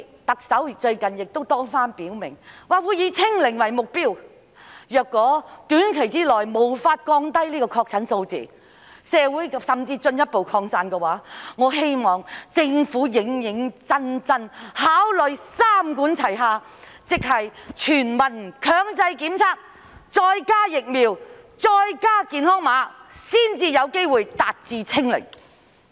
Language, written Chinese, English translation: Cantonese, 特首最近多番表明會以"清零"為目標，但如果短期內無法降低確診數字，甚至出現進一步擴散的話，我希望政府認真考慮"三管齊下"，即推行全民強制檢測，加上疫苗，再加上"健康碼"，這樣才有機會達致"清零"。, Recently the Chief Executive has reiterated that zero infection is the target . Yet if the number of confirmed cases cannot be lowered within a short period and if the virus is spread further I hope the Government will consider adopting a three - pronged approach namely the introduction of mandatory universal testing vaccination and the implementation of health code so that we can have a chance to achieve zero infection